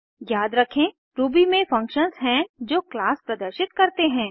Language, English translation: Hindi, Recall that in Ruby, methods are the functions that a class performs